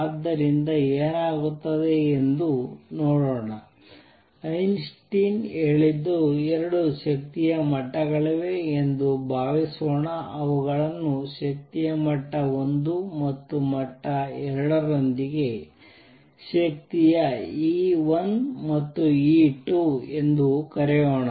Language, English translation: Kannada, So, let us see what happens, what Einstein did what Einstein said was suppose there are 2 energy levels let us call them with energy level 1 level 2 with energy E 1 and E 2 right now just consider 2 levels